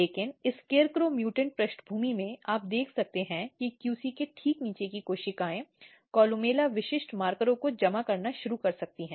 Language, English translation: Hindi, But in scarecrow mutant background, you can see that the cells which is just below the QC can start accumulating columella specific markers